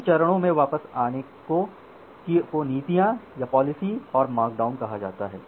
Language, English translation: Hindi, Coming back to the stages so that is called the policies and policing and markdown